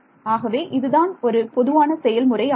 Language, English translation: Tamil, So, that is going to be a general procedure